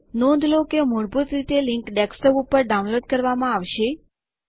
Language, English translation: Gujarati, You notice that by default the link would be downloaded to Desktop